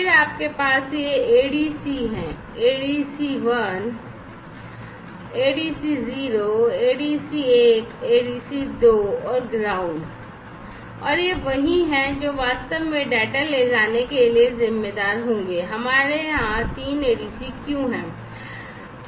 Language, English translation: Hindi, Then you have these ADC’s, ADCI so, 0 ADC 0, 1, 2 and the ground and these are the ones, which will be responsible for actually carrying the data and why we have 3 ADC’s over here